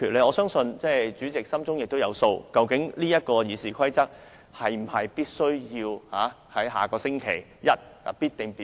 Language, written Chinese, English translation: Cantonese, 我相信主席心中有數，修改《議事規則》是否必須在下星期一進行表決。, I believe the President knows in his mind whether Members must vote on amending RoP next Monday